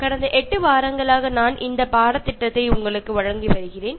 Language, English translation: Tamil, I have been giving this course to you for the past eight weeks